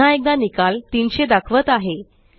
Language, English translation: Marathi, Notice the result shows 300